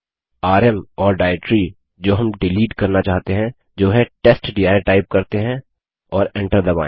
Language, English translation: Hindi, Let us type rm and the directory that we want to delete which is testdir and press enter